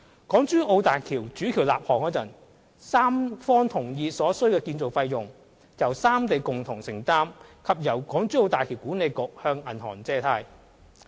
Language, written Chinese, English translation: Cantonese, 港珠澳大橋主橋立項時，三方同意所需的建造費用由三地共同承擔，並由大橋管理局向銀行借貸。, At the time of project initiation of HZMB the three participating parties agreed that the three regions would bear the required construction costs together and that the HZMB Authority would raise loans from banks